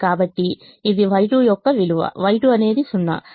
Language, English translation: Telugu, so this is the value for y two: y, y two is zero